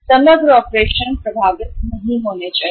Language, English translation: Hindi, The overall operation should not get affected